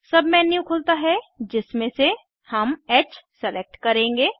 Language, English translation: Hindi, A submenu opens in which we will select H